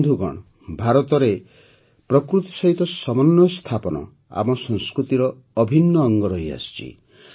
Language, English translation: Odia, Friends, in India harmony with nature has been an integral part of our culture